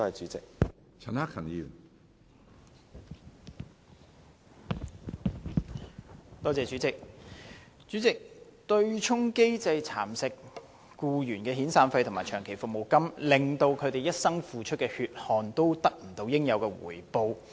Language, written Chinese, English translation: Cantonese, 主席，強制性公積金的對沖機制蠶食僱員的遣散費和長期服務金，令他們一生付出的血汗得不到應有的回報。, President the Mandatory Provident Fund MPF offsetting mechanism has nibbled away the severance payments and long - service payments of employees robbing them of their well - deserved rewards for a whole life of hard toil